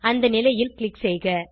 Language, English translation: Tamil, Click on the position